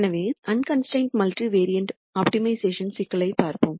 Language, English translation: Tamil, So, let us look at an unconstrained multivariate optimization problem